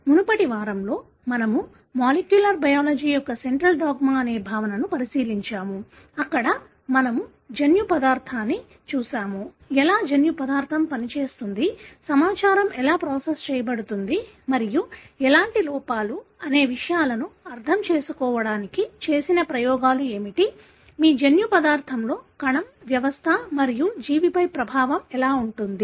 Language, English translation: Telugu, In the previous week we looked into the concept of central dogma of molecular biology, where we looked in the genetic material, how, what are the experiments that led to understanding as to how the genetic material functions, how the information is processed and how defects in your genetic material can have an effect on the cell, system and organism